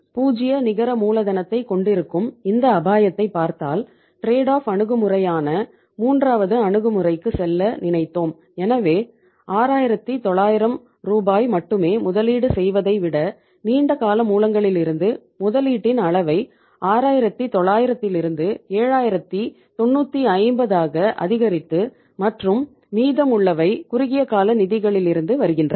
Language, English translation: Tamil, So just looking at this risk of having the 0 net working capital we thought of moving to the third approach that is called as trade off approach so we increase the level of say investment from the long term sources rather than investing only 6900 Rs we increase the level coming funds coming from the long term sources from 6900 to 7950 and remaining was coming from the short term funds